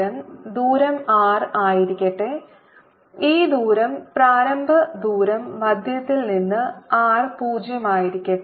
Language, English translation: Malayalam, so let me show it on the top: let this distance from the centre be r zero